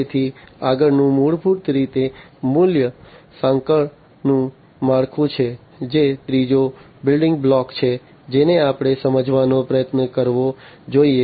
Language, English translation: Gujarati, So, next one is basically the value chain structure that is the third building block that we should try to understand